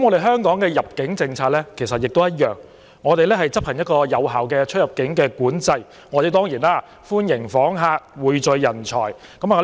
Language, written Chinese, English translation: Cantonese, 香港的入境政策也相同，我們執行有效的出入境管制，歡迎訪客，匯聚人才。, This is also the case with the immigration policy of Hong Kong . We welcome visitors and attract talents by implementing effective immigration control